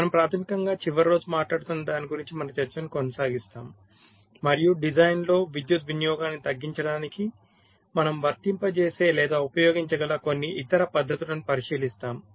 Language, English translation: Telugu, so we we basically continue with our discussion, what you are talking about last day, and look at some other techniques that we can employ or use for reducing the power consumption in design